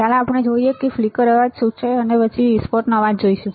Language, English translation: Gujarati, Let us see next one which is our flicker noise and then we will see burst noise